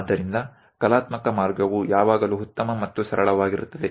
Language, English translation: Kannada, So, the artistic way always be nice and simple